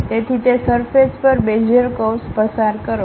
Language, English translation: Gujarati, So, pass a surface a Bezier curve in that way